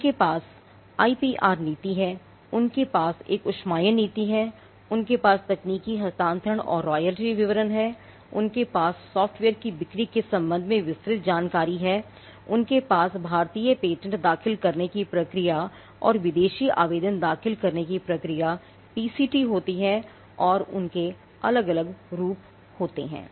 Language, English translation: Hindi, They have the IPR policy, they have an incubation policy, they have tech transfer and royalty details, they have detailed with regard to sale of software, they have procedure for filing and Indian patent, procedure for filing foreign application what you call the PCT and they have different forms